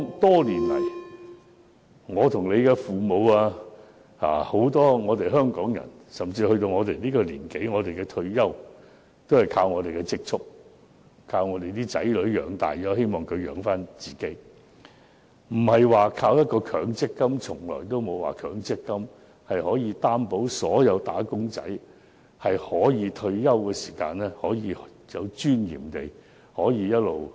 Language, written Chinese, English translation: Cantonese, 多年來，我們的父母，以及很多香港人，到了我們這個年紀，退休後也是靠自己的積蓄過活，以及靠子女供養，而不是依靠強積金，從來沒有強積金可以保證所有"打工仔"在退休時能有尊嚴地生活。, For many years our parents and many Hong Kong people of our age live on their own savings after retirement or depend on their children but not on MPF . No MPF has ever guaranteed that wage earners can live with dignity upon retirement